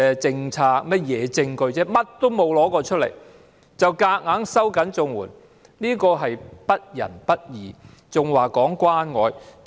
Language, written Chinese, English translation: Cantonese, 甚麼實證也沒有拿出來便強行收緊綜援門檻，這是不仁不義，還說關愛？, Tightening the threshold by force without any evidence is completely unkind and unjust . How dare do they mention caring?